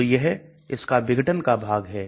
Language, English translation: Hindi, So that is the dissociation part of it